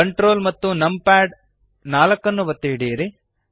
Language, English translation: Kannada, Hold ctrl and numpad2 the view pans upwards